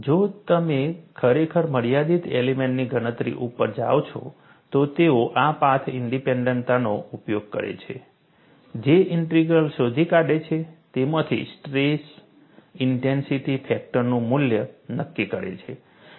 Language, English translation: Gujarati, If you really go to finite element computation, they use this path independence, find out J Integral, from that, determined the value of the stress intensity factor